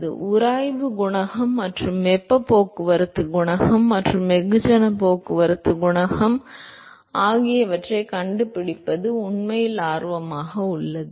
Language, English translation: Tamil, So, what is really of interest is to find the friction coefficient, and the heat transport coefficient and mass transport coefficient